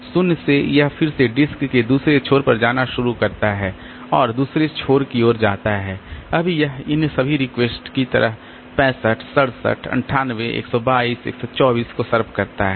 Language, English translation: Hindi, From zero again it starts going to the other end of the disk and while going towards the other end now it solves all this request 65, 67, 98, 122, 124 like that